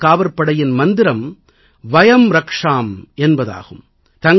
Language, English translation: Tamil, The motto of Coast Guard is 'Vayam Rakshaamaha